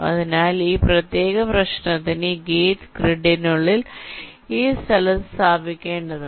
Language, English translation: Malayalam, so for this particular problem, this gate has to be placed in this location within the grid